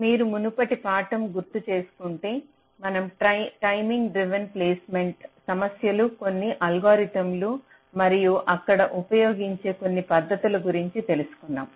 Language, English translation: Telugu, so, if you recall, in our last lecture we were talking about the timing driven placement issues, some algorithms and some techniques that are used there